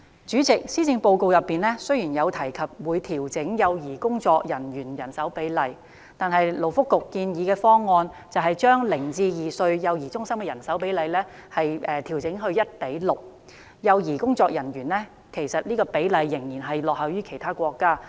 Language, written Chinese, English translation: Cantonese, 主席，雖然施政報告提及會調整幼兒工作員的人手比例，但勞工及福利局建議的方案，把零至兩歲幼兒中心的人手比例調整至 1：6， 工作人員與幼兒的比例仍然落後於其他國家。, President the Policy Address has mentioned the adjustment of manning ratios in child care centres but under Labour and Welfare Bureaus proposal the manning ratio in child care centre for infants zero to two years of age is adjusted to 1col6 which is still trailing behind other countries